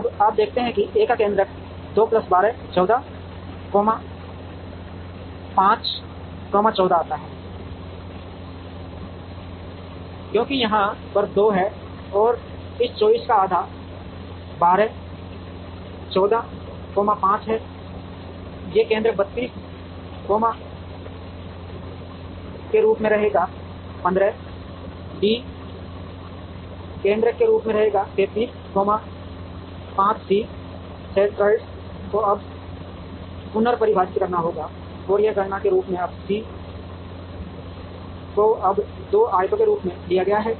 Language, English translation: Hindi, Now, you see that A’s centroid is 2 plus 12, 14 comma 5, 14 comes because there is a 2 here, and half of this 24 is 12 14 comma 5, these centroid will remain as 32 comma 15 D’s centroid will remain as 33 comma 5 C’s centroid will now have to be redefined, and that is computed as, now C is now taken as 2 rectangles